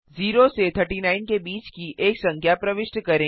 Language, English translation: Hindi, Press Enter Enter a number between of 0 to 39